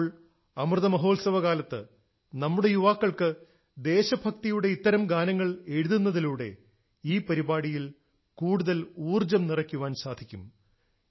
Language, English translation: Malayalam, Now in this Amrit kaal, our young people can instill this event with energy by writing such patriotic songs